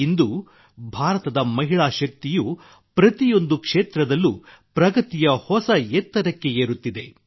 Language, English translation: Kannada, Today the woman power of India is touching new heights of progress in every field